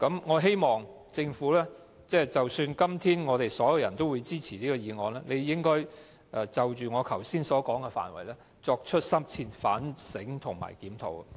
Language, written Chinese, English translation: Cantonese, 我希望即使今天所有議員都支持這項議案，政府也應該就我剛才所說的範圍，作出深切反省及檢討。, I hope all Members can support this resolution . And the Government should reflect on and review what I have just said